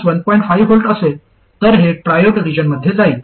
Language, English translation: Marathi, 5 volts this will go into triode region